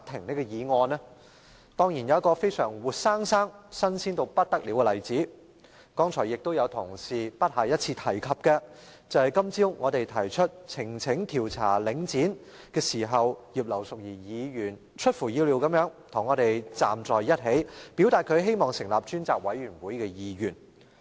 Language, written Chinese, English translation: Cantonese, 當然是因為現在有個活生生、"新鮮"到不得了的例子——其他同事剛才也不下一次提及——便是今早我們提出呈請調查領展房地產投資信託基金時，葉劉淑儀議員出乎意料地與我們站在一起，表達她希望成立專責委員會的意願。, Of course this is because there is now a real - life example that could not be more oven fresh―other Honourable colleagues have also mentioned it more than once just now―that is this morning when we presented a petition to look into Link Real Estate Investment Trust Link REIT Mrs Regina IP unexpectedly rose together with us to express her wish for a select committee to be set up